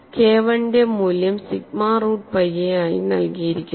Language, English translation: Malayalam, So K 1 max is sigma root pi a divided by I 2